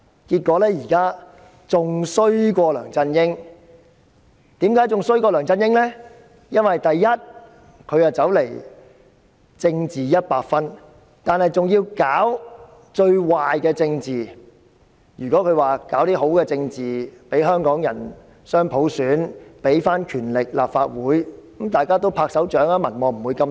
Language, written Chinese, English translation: Cantonese, 結果她比梁振英更差，原因是她"政治一百分"，還要搞最壞的政治，如果她搞好政治，給香港人雙普選，把權力歸還立法會，大家都會鼓掌，她的民望也不會這麼低。, It turns out that she is even worse than LEUNG Chun - ying as she pursues 100 percent politics and she has even done the most evil thing in politics . If she has achieved something desirable in politics such as implementing dual universal suffrage for Hongkongers and returning the power to the Legislative Council everyone will give her kudos and her popularity rating would not be so low